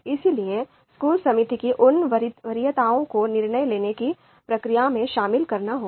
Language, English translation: Hindi, Therefore, those kind of preferences of school committee will also have to be incorporated in the decision making process